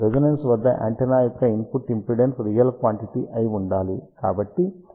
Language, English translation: Telugu, See at resonance we know that the input impedance of antenna should be a real quantity